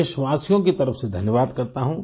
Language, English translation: Hindi, I thank you wholeheartedly on behalf of the countrymen